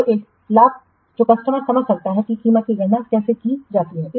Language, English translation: Hindi, So the advantage that customer can understand how the price is calculated